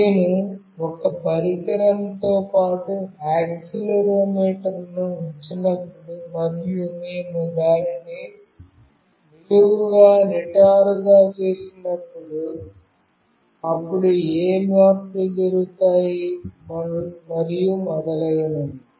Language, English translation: Telugu, When I put accelerometer along with a device, and we make it vertically straight, then what changes happen, and so on